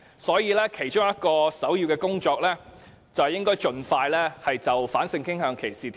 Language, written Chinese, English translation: Cantonese, 所以，首要工作是盡快訂立反性傾向歧視法例。, Hence our priority task is to enact legislation to prohibit discrimination on the ground of sexual orientation